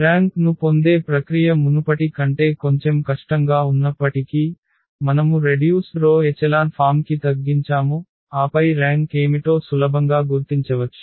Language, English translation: Telugu, Though it is little bit difficult than the earlier process of getting the rank where we reduced to the row reduced echelon form and then we can easily identify what is the rank